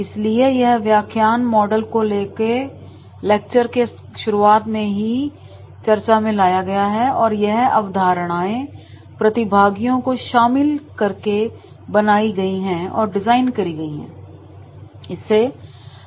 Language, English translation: Hindi, So, these theory models are discussed in the beginning of the lecture and the concepts are created and design and formulated with the trainees